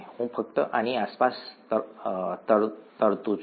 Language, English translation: Gujarati, I’m just going to float this around